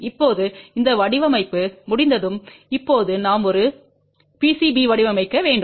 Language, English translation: Tamil, Now, once that design is complete now we have to design a PCB